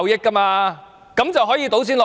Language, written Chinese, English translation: Cantonese, 它這樣便可以倒錢落海。, It uses this excuse to pour money into the sea